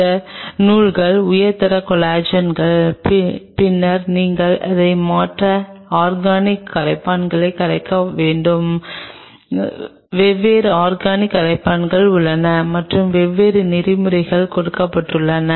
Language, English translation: Tamil, These threads are high quality collagen, then you have to dissolve it in other Organic Solvents there are different organic solvents and there are different protocols which are given